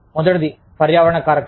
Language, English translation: Telugu, The first is environmental factors